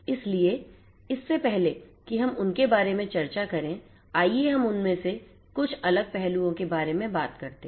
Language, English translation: Hindi, So, before we discuss about those non trivialities let us talk about some of these different aspects